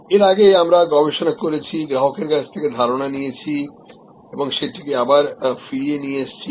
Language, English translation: Bengali, Earlier, we did market research, took ideas from customer and brought it back